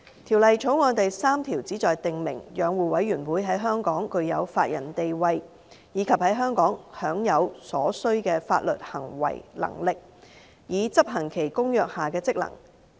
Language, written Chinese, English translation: Cantonese, 《條例草案》第3條旨在訂明，養護委員會在香港具有法人地位；以及在香港享有所需的法律行為能力，以執行其《公約》下的職能。, Clause 3 of the Bill seeks to give the Commission in Hong Kong the legal personality which will enable the Commission to enjoy in Hong Kong the necessary legal capacity to perform its function under the Bill